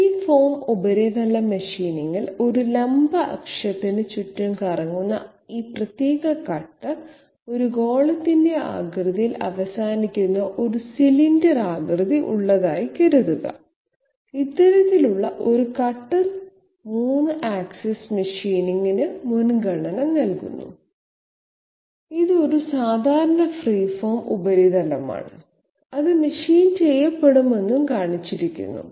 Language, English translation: Malayalam, In free form surface machining, suppose this particular cutter which is rotating about a vertical axis and having a cylindrical shape ending in the shape of a sphere, this sort of a cutter is preferred for 3 axis machining and this is a typical free form surface which has been shown which will be machined